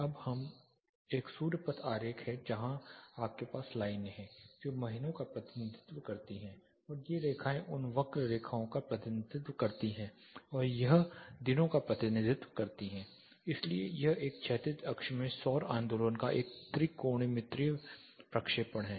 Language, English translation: Hindi, Now this is a sun path diagram where you have the lines which represent the months plus these lines represent the curvilinear lines these represents the day, so it is a trigonometric projection of solar movement into a horizontal axis